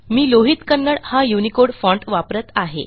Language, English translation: Marathi, Lohit Kannada is the UNICODE font that I am using